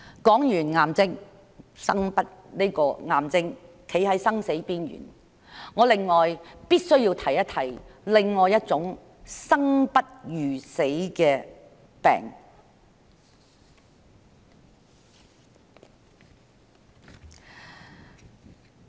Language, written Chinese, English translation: Cantonese, 談完令人站在生死邊緣的癌症，我必須說一說另一種令人生不如死的疾病。, After talking about cancer the disease that places patients on the verge of death I must talk about another ailment that makes one prefer death to life